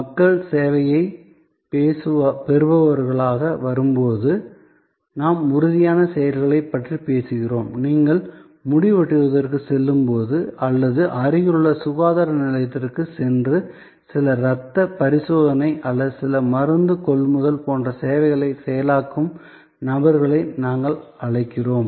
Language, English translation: Tamil, So, when it comes to people as recipient of service and we are talking about tangible actions, then we have what we call people processing services like when you go for a hair cut or you go and visit the nearest health centre for some blood test or some pharmaceutical procurement